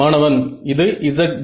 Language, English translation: Tamil, It is a z d